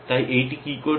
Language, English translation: Bengali, So, what is this doing